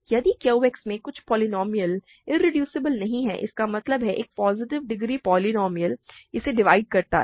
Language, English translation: Hindi, If some polynomial is not irreducible in QX; that means, a positive degree polynomial divides it